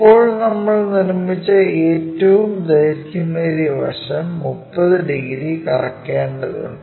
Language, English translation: Malayalam, Now, already this longest one we have constructed, this entire thing has to be rotated by 30 degrees